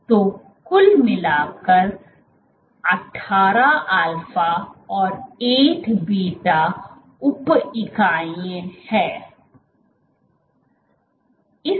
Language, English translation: Hindi, So, in total there are 18 alpha and 8 beta sub units